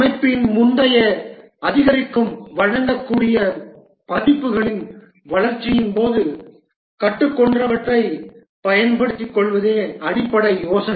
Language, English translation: Tamil, The basic idea is to take advantage of what was learned during the development of earlier incremental deliverable versions of the system